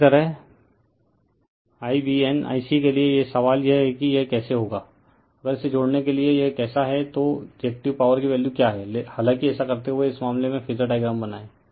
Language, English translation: Hindi, Similarly, for I v n I c , the question is , how it will be , if, you to connect this , how it what is the value of then Reactive Power; however, doing it then , in this case you draw the phasor diagram